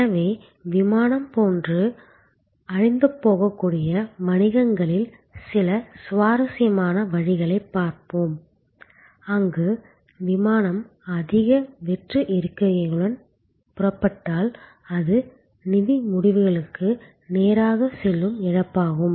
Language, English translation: Tamil, So, let us look at some interesting ways in businesses which are very grown to perishability like the airline, where if the flight takes off with more empty seats, it is a loss that goes straight into the financial results